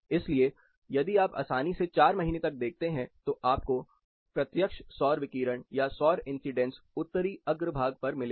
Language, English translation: Hindi, So, if you see up to four months easily, you will get direct solar radiation or solar incidence on Northern façade